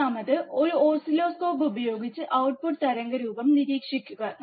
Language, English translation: Malayalam, Third, with an oscilloscope observe the output waveform